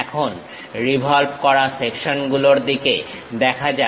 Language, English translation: Bengali, Now, let us look at revolved sections